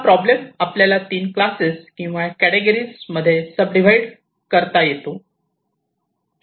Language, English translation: Marathi, ok, so this problem can be subdivided into three classes or categories